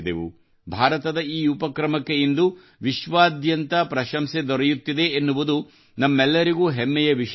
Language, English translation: Kannada, It is a matter of pride for all of us that, today, this initiative of India is getting appreciation from all over the world